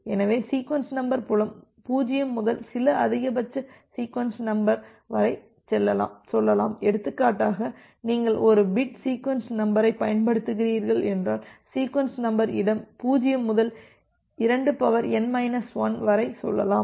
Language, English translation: Tamil, So, the sequence number field is from starting from 0 to some maximum sequence number say for example, if you are using a n bit sequence number, then the sequence number space can go from 0 to 2 to the power n minus 1